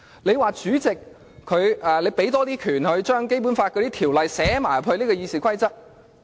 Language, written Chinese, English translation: Cantonese, 你又說，要給主席多些權力，將《基本法》的條文寫入《議事規則》。, So you further propose to give the President more power and write the Basic Law into the RoP